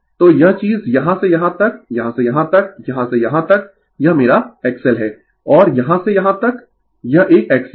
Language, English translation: Hindi, So, this thing from here to here , from here to here right, from here to here this is my X L and from here to here this is an X C